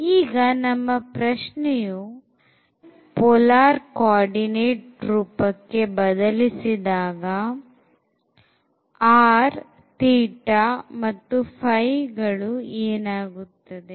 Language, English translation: Kannada, Now, our question is when we change into the; a spherical polar coordinates then what would be r theta and phi